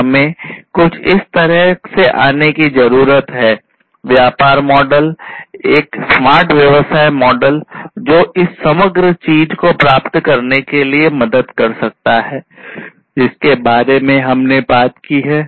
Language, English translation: Hindi, So, we need to come up with something like this; the business model, a smart business model that can help achieve this overall thing that we have talked about